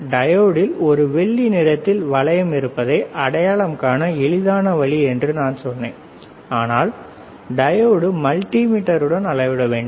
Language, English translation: Tamil, I told you there is a silver ring on the diode that is easy way of identifying it, but we have to measure the diode with the multimeter